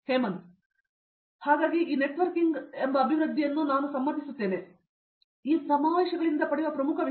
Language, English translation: Kannada, So, I agree with this networking development is the major thing which we get from the conferences